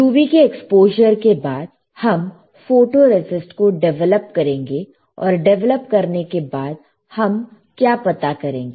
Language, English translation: Hindi, So, after UV exposure, we will develop the photoresist and what we will find after developing the photoresist